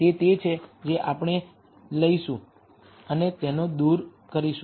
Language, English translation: Gujarati, That is the one we will take and remove it